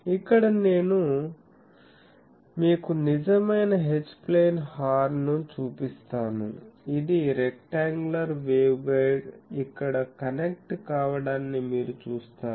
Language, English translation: Telugu, So, here I show you a real H plane Horn, you see this was the rectangular waveguide gets connected here